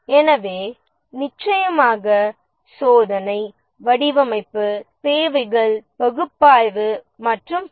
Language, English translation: Tamil, So, and of course testing, design, requirements, analysis and so on